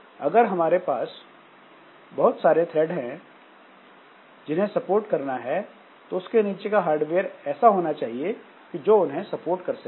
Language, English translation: Hindi, So, this is, if you have got large number of threads to be supported, then the basic underlying hardware should support the this threading